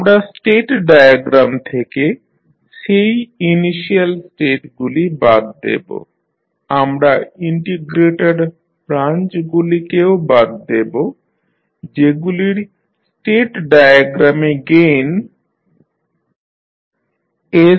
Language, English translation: Bengali, We will remove those initially states from the state diagram, we also remove the integrator branches which have gain as 1 by s from the state diagram